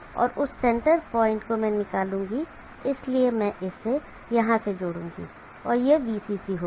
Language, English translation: Hindi, And that the centre point I will take out, so I will connect this here and this will be VCC